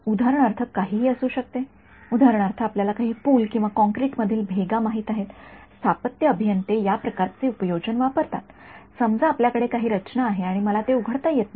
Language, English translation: Marathi, Could be anything it could be for example, you know some bridge or cracks in concrete that is what civil engineers use these kinds of applications; let us say I have some structure and I do not want to I cannot open it up right